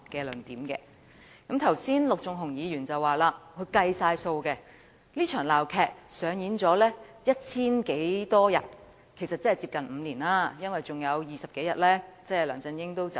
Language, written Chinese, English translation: Cantonese, 陸頌雄議員剛才說他計算過，這場鬧劇上演了千多天，即接近5年時間，因為還有20多天梁振英便會離任。, Just now Mr LUK Chung - hung said that this farce has lasted for over a thousand days close to five years and after 20 - odd days LEUNG Chun - ying would step down . He was right